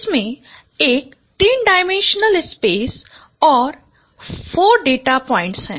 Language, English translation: Hindi, So it's a three dimensional space and there are four data points